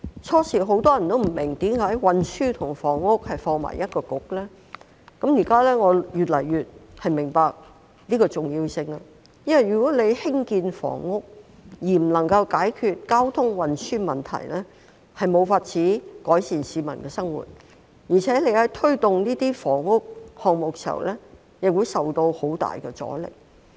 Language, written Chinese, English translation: Cantonese, 當初很多人也不明白為何運輸及房屋的事務要交由同一個政策局負責，我現在越來越明白箇中的重要性，因為如果興建房屋而不能夠解決交通運輸的問題，便無法改善市民生活，而且在推動房屋項目時亦會受到很大阻力。, At first many people did not understand why the same Policy Bureau is made responsible for matters relating to transport and housing . Now I can see more and more clearly the importance of it because if in the course of housing development the transport problems are not addressed in tandem it would be impossible to improve the peoples living and worse still the Government will meet great resistance in taking forward housing projects